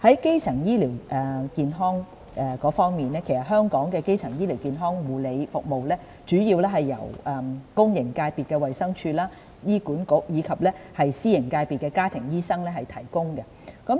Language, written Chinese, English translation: Cantonese, 基層醫療健康方面，香港的基層醫療健康護理服務主要由公營界別的衞生署、醫院管理局，以及私營界別的家庭醫生提供。, With regard to primary healthcare services in Hong Kong they are mainly provided by Department of Health DH and Hospital Authority HA in the public sector and by family doctors in the private sector